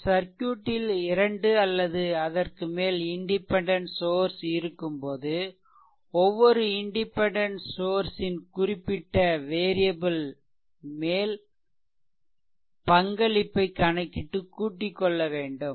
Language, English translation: Tamil, So, if a circuit has 2 or more independent sources one can determine the contribution of each independent source to the variable and then add them up